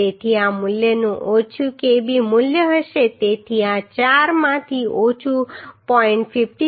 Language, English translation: Gujarati, So the lesser of this value will be the kb value so lesser of this four will be 0